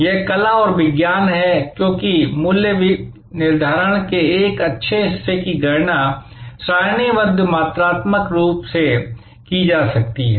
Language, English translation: Hindi, It is art and science, because a good part of the pricing consideration can be calculated, tabulated, figured out quantitatively